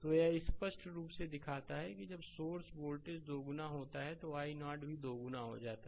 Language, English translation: Hindi, So, this clearly shows that when source voltage is doubled i 0 also doubled